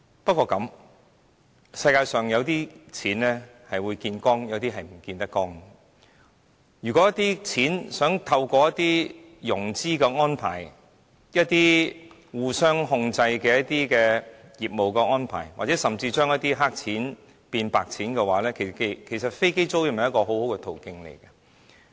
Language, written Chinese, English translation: Cantonese, 不過，世界上有些錢可以見光，有些錢卻是見不得光的，如果有人希望透過融資安排、互相控制的業務安排，甚至將一些"黑錢"變"白錢"，其實飛機租賃是一個很好的途徑。, What more can we ask for right? . But in this world some money can be brought to the light but some cannot . Perhaps in case someone is looking for a funding arrangement or cross - control business arrangement to whitewash their black money investment in the aircraft leasing business is a good option